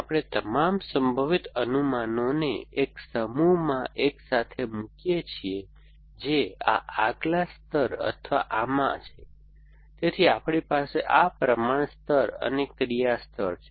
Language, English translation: Gujarati, We put together all the possible predicates into one set which is in this next layer or the, so we have this proportion layers and action layer essentially